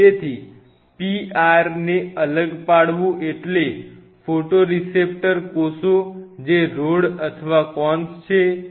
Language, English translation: Gujarati, So, isolating the PR stands for the photoreceptor cell which is either rods or cones